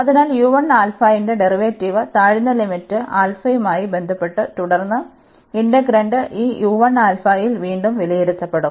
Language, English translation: Malayalam, So, the derivative of u 1 the lower limit with respect to alpha, and then the integrand will be evaluated again at this u 1 alpha